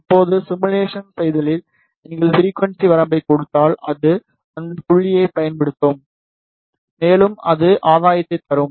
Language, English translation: Tamil, Now, in simulation if you give the frequency range, then it will use those points, and it will plot the gain